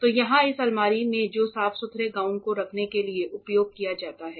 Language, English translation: Hindi, So, here in this cupboard which is used to keep the gowns cleanroom gowns